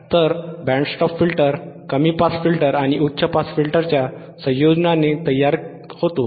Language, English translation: Marathi, So, the band stop filter is formed by combination of low pass and high pass filter